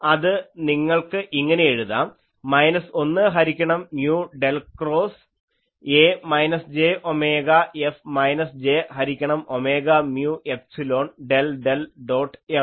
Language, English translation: Malayalam, So, H will be H A plus H F and that you can write as 1 by mu del cross A minus j omega F minus j by omega mu epsilon del del dot F ok